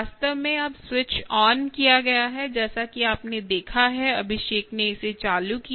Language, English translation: Hindi, what i so show you here is: this platform is actually now switched on, as you have seen, abhishek just switched it on